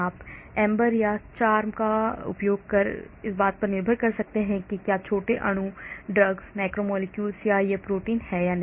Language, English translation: Hindi, you can use AMBER or CHARMM depending upon whether small molecule drugs, macromolecules or whether it is a protein